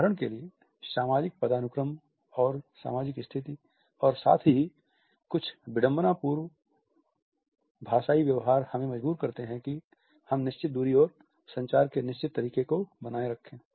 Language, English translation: Hindi, For example, the social hierarchy, and the social status and at the same time certain ironical linguistic behavior which compel that we maintain a certain way of distance and certain way of communication